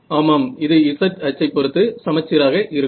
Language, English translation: Tamil, It will be symmetric about the z axis